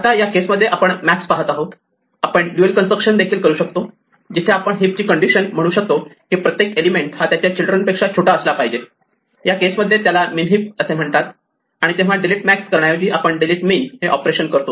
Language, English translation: Marathi, Now, in this case we were looking at max heaps; we can also do a dual construction where we change the heap condition to say that each element must be smaller than its children, in which case we have what is called a min heap and then instead of delete max, the operation we perform is delete min